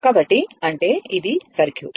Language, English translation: Telugu, Because, it is open circuit